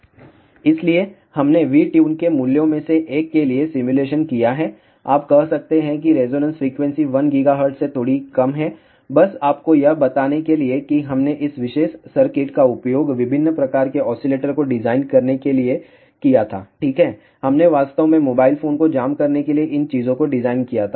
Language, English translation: Hindi, So, we have done the simulation for one of the values of V Tune, you can say that the resonance frequency is slightly less than 1 gigahertz, ah just to tell you that we had used this particular circuit to design different types of oscillators ok, we had actually designed these things for jamming mobile phones